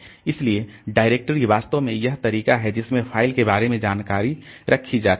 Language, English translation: Hindi, So, directory is actually the way in which the information kept about the file